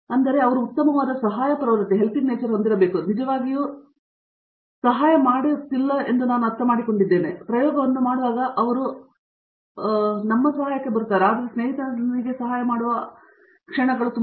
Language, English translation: Kannada, So that means, like they have to have a very good helping tendency and they are not really helping for nothing, I mean it is like when I am helping my friend in the lab he is going to help me when I am doing my experiment